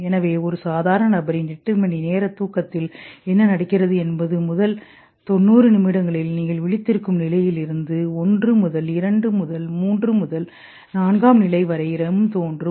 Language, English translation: Tamil, So in 8 hour sleep of a normal person what happens is that first 90 minutes, you go down from awake to stage 1 to 2 to 3 to 4, right